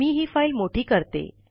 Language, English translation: Marathi, Let me zoom this file